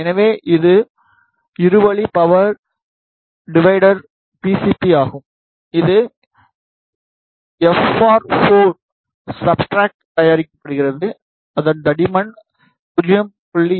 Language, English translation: Tamil, So, this is a PCB for two way power divider, it is made on FR 4 substrate, whose thickness is 0